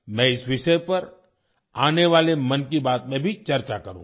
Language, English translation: Hindi, I will also touch upon this topic in the upcoming ‘Mann Ki Baat’